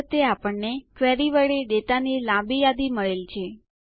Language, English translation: Gujarati, This time we see a longer list of data returned from the query